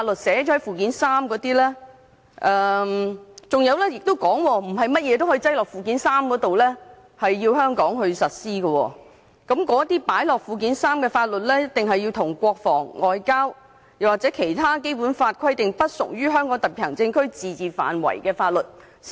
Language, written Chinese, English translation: Cantonese, 此外，不是甚麼法律也可以納入附件三並在香港實施，因為附件三所列法律必須與國防、外交和其他按《基本法》規定不屬於香港特區自治範圍的法律。, Moreover not all laws can be incorporated into Annex III and applied in Hong Kong because the laws listed in Annex III shall be confined to those relating to defence and foreign affairs as well as other matters outside the limits of the autonomy of the Hong Kong SAR